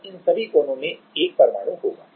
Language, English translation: Hindi, And in all the corners there will be one atom